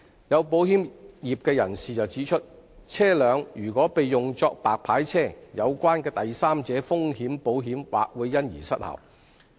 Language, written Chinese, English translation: Cantonese, 有保險業人士指出，車輛如被用作白牌車，有關的第三者風險保險或會因而失效。, Some members of the insurance industry have pointed out that the third party risks insurance for vehicles being used as white licence cars may be rendered invalid as a result of such use